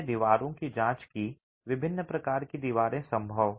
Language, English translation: Hindi, We examined walls, the different types of walls possible